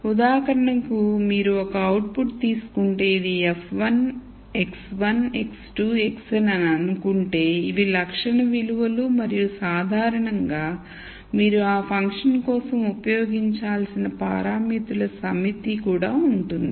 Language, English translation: Telugu, So, for example, if you just take let us say one output and then say this is f 1, x 1, x 2, x n these are the attribute values and there will also usually be a set of parameters that you have to use for that function